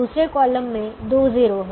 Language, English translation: Hindi, second column has two zeros